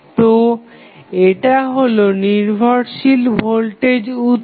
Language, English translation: Bengali, So, this is dependent voltage source